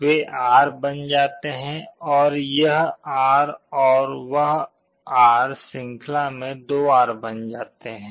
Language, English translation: Hindi, They become R, that R and this R in series becomes 2R